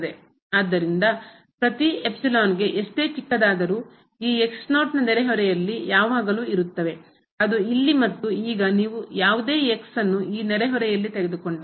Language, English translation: Kannada, So, for every epsilon, however small, there always exist in neighborhood of this naught which is the case here and now, if you take any in this neighborhood